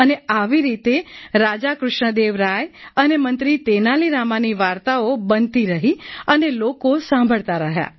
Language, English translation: Gujarati, " And like this the stories of King Krishnadeva Rai and minister Tenali Rama kept on evolving and people kept listening